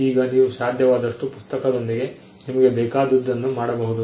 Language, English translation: Kannada, Now, you can do whatever you want with the book you can